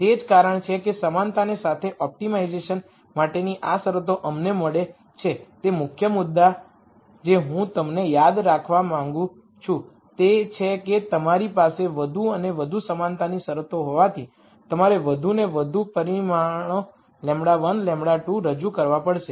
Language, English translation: Gujarati, So, that is the reason why we get these conditions for optimization with equality constraints the key point that I want you to remember is that as you have more and more equality constraints you will have to introduce more and more parameters lambda 1 lambda 2 and so on